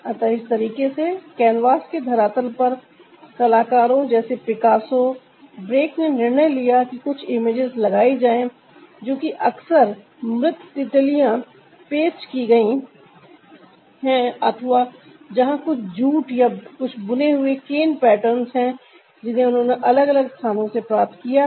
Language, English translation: Hindi, so that way, on the surface of canvas, the artists like picasso brock, they decided to put some images which are often like dead butterflies, pasted, or ah, these are some jute, or ah, some woven cane patterns